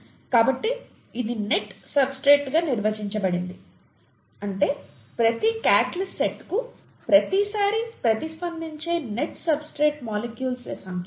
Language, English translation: Telugu, So it is defined as the net substrate, the number of net substrate molecules reacted per catalyst site per time, okay